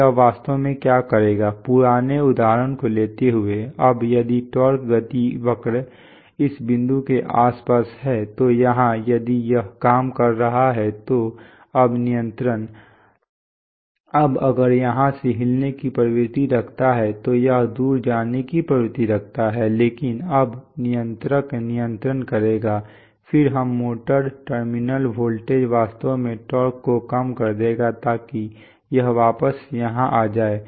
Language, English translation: Hindi, So what this will do is actually that, giving, taking the old example, now if the torque speed curve is around this point then here, if it is operating then now the control, now if it tends to move it will tend to move away, but now the controller will actually what the controller will do is that is the controller will control, then let us say the motor terminal voltage and it will actually reduce the torque so that it come, so it comes back